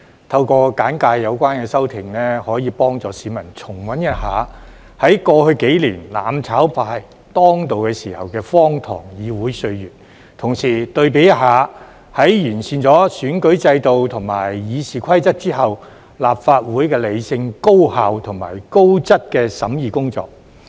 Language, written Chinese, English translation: Cantonese, 透過簡介有關修訂，可以幫助市民重溫一下，在過去數年"攬炒派"當道時的荒唐議會歲月，同時對比一下，在完善了選舉制度及《議事規則》之後，立法會的理性、高效及高質的審議工作。, With a brief introduction of these amendments I would like to help the public to recap the absurd period in the legislature in the past few years when the mutual destruction camp dominated the scene while at the same time comparing it with the rational efficient and quality deliberations conducted by the Legislative Council after the improvement of the electoral system and RoP